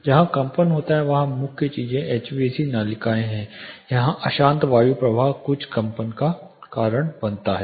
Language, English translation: Hindi, Main things where vibration occur is the HVAC ducts where the turbulent air flow causes certain vibrations